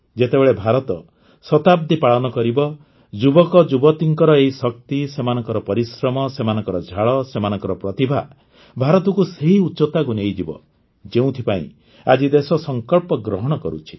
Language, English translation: Odia, When India celebrates her centenary, this power of youth, their hard work, their sweat, their talent, will take India to the heights that the country is resolving today